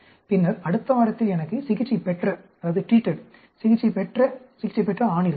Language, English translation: Tamil, And then, later on, in the next week I may have the treated, treated, treated male